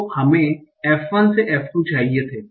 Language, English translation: Hindi, So they were supposed F1 and F2